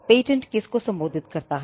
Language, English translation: Hindi, To whom is the patent address to